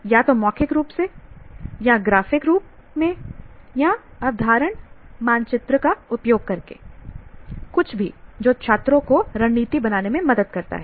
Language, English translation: Hindi, Either in verbal form or graphic form or use concept maps, any of those things can, anything that makes it helps students to plan strategies will do